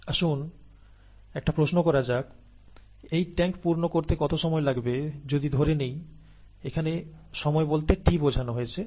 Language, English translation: Bengali, Now let us ask the question, how long would it take to fill the tank, and let us call that time t